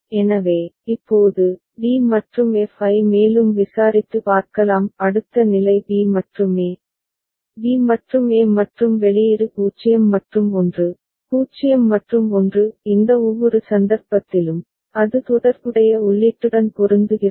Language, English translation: Tamil, So, now, we can further investigate and see, that d and f; next state is b and a, b and a and output is 0 and 1, 0 and 1; in each of these cases, it is matching for the corresponding input